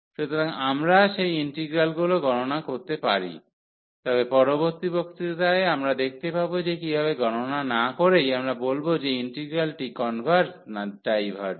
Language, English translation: Bengali, So, we can evaluate those integrals, but in the next lecture we will see that how to how to find without evaluating whether the integral converges or it diverges